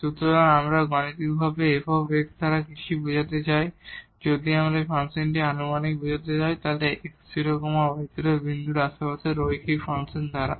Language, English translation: Bengali, So, what do we mean by this mathematically that fx, if we can approximate this function in the neighborhood of this x naught y naught point by the linear function